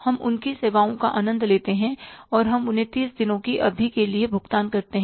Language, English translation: Hindi, We enjoy their services and we pay them after the period of 30 days